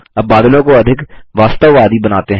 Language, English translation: Hindi, Now lets make the clouds look more realistic